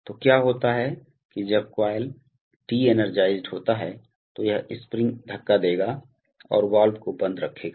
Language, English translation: Hindi, So, what happens is that in, when the coil is de energized then this spring will push and keep the valve closed right